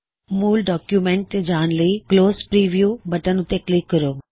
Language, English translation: Punjabi, To get back to the original document, click on the Close Preview button